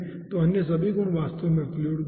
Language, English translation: Hindi, so all other properties are actually a fluid properties